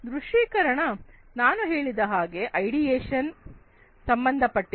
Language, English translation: Kannada, Visualization as I was telling you corresponds to the ideation